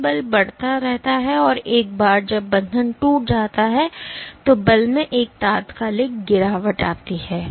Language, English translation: Hindi, So, your force keeps on increasing and at one point once the bond breaks, there is an instantaneous drop in the force